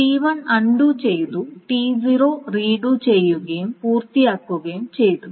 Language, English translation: Malayalam, So, T1 is being undone and T0 has started and finished